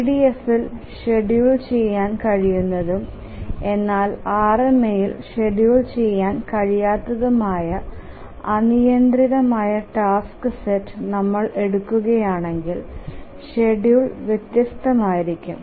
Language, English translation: Malayalam, So can we take some arbitrary task set which is schedulable in EDF but not schedulable in RMA and then the schedule will be different